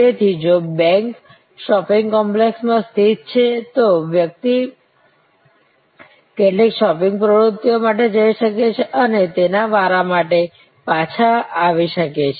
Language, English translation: Gujarati, So, if the bank is located in a shopping complex, the person may go for some shopping activities and come back for his or her turn